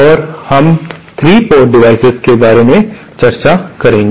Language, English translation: Hindi, And we shall be discussing about 3 port devices